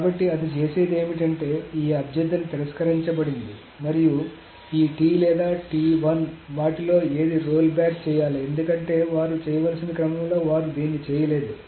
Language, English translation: Telugu, So what it does is that this request is rejected and so this is this request is rejected and this T or T1, whichever, one of them must be rolled back because they have not done it in the order that they were supposed to do